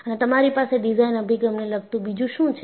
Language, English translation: Gujarati, And what are the design approaches you had